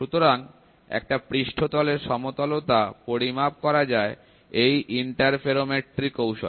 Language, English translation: Bengali, So, the flatness of this surface can be measured by using this interferometry technique